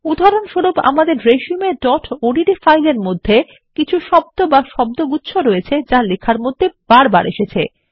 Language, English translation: Bengali, For example, in our resume.odt file, there might be a few set of words or word which are used repeatedly in the document